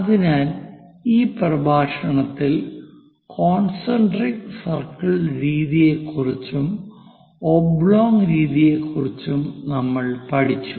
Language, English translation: Malayalam, So, in this lecture, we have learned about concentric circle method and oblong method